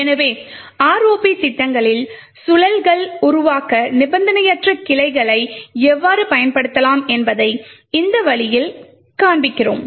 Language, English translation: Tamil, So, in this way we show how we can use unconditional branching to create loops in our ROP programs